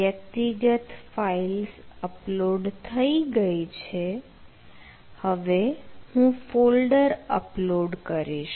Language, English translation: Gujarati, so the individual files has been uploaded